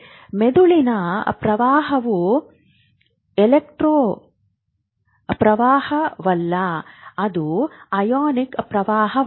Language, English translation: Kannada, So remember brain current is not electron current, it is a ionic current